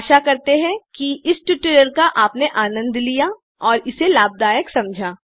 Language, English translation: Hindi, Hope you have enjoyed and found it useful